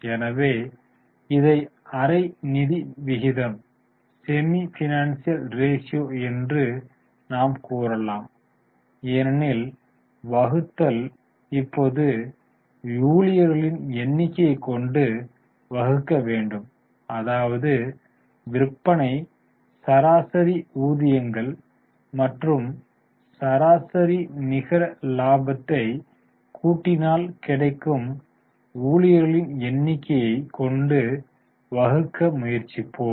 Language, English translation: Tamil, So, this is a semi financial ratio you can say because the denominator will be now number of employees and we will try to link the sales, average wages and average net profit to the number of employees